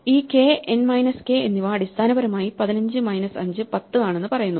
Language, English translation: Malayalam, This k and n minus k basically says that 15 minus 5 is 10